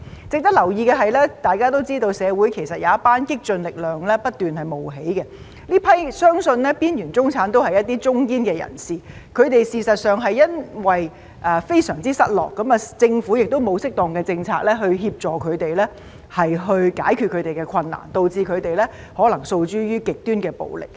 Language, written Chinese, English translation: Cantonese, 值得留意的是，大家都知道社會有一股激進力量不斷冒起，這批邊緣中產相信都是中堅人士，他們事實上是因為非常失落，而政府亦沒有適當的政策協助他們，解決他們的困難，導致他們可能訴諸極端的暴力。, It is worth noting that as we all know a radical force has kept emerging in society and this group of marginalized middle - class people is believed to be the backbone of it . In fact it is because they feel utterly lost and the Government has no appropriate policies in place to help them overcome their difficulties that they may be driven to extreme violence